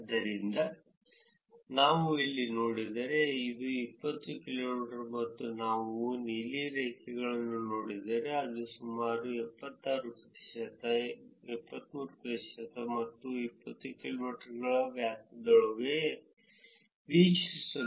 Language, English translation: Kannada, So, if we see here this is 20 kilometers and if we see the blue line it is here that is about 76 percent, 73 percent, which is within the 20 kilometer difference, we were able to find out where the home is which is pretty good